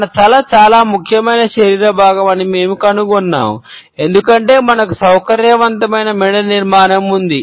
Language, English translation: Telugu, We find that our head is a very significant body feature, because we have a flexible neck structure